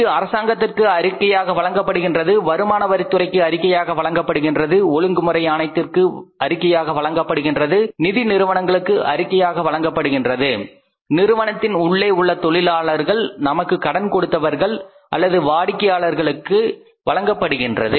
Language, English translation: Tamil, It is reported to the government, it is reported to the tax authorities, it is reported to the regulatory authorities, it is reported to the financial institutions, it is reported to the internal stakeholders like employees like our shareholders like your lenders or maybe the say customers